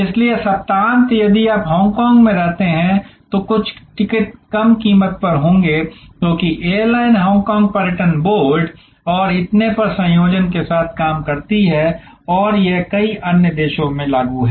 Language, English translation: Hindi, So, the weekend if you stay in Hong Kong then some of the ticket will be at a price which is lower, because the airline works in conjunction with Hong Kong tourism board and so on and this is applicable to many other countries